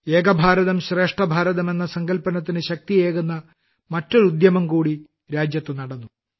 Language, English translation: Malayalam, Another such unique effort to give strength to the spirit of Ek Bharat, Shrestha Bharat has taken place in the country